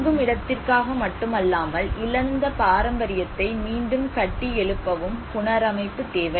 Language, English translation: Tamil, So there was obviously a need of reconstruction not only from the shelter point of it but also to rebuild the lost heritage